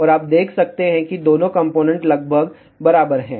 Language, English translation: Hindi, And you can see that, both the components are approximately equal